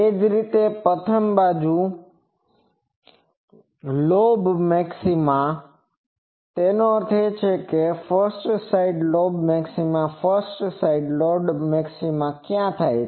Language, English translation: Gujarati, Similarly, 1st side lobe maxima; that means, 1st side lobe maxima where occurs